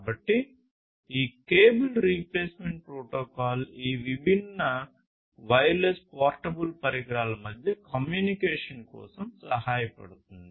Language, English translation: Telugu, So, this cable replacement protocol we will help for communicating between these different wireless you know portable devices and so on